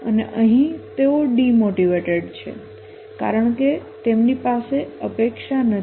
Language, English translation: Gujarati, And here they are demotivated because they don't have the expectancy